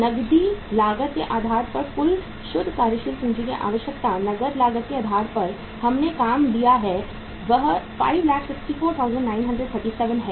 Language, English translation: Hindi, Total net working capital requirement on cash cost basis, cash cost basis we have worked out is that is 564,937